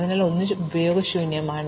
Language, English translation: Malayalam, So, 1 is also useless